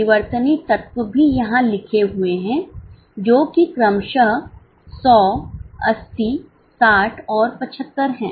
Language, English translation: Hindi, Variable element is also written over here, 180, 60 and 75 respectively